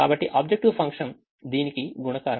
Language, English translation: Telugu, so the objective function is a multiplication of this